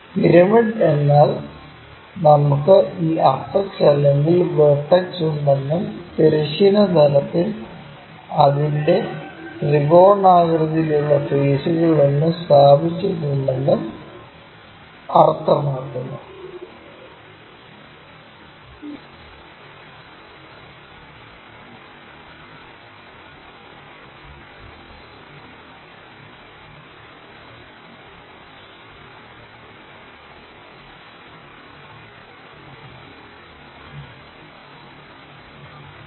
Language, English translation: Malayalam, Pyramid means we have this apex or vertex and it is placed on one of its triangular faces on horizontal plane